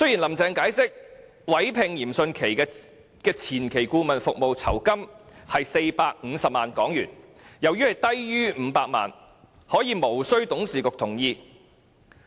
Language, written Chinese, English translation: Cantonese, "林鄭"解釋，委聘嚴迅奇的前期顧問服務酬金為450萬元，而由於此酬金低於萬元，所以無需董事局的同意。, Carrie LAM explained that as the fee for engaging Rocco YIM to provide the pre - development consultancy services was only 4.5 million lower than the threshold of 5 million his appointment did not require the consent of the Board